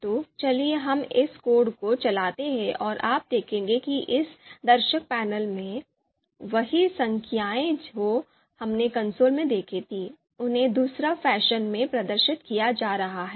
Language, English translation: Hindi, So let us run this code and you would see, yeah, in this in this viewer panel, you would see the same numbers which we saw the in the console, now here they are being displayed in another you know in another fashion